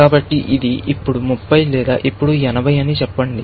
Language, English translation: Telugu, So, this is now, 30 or Let us say now, this is 80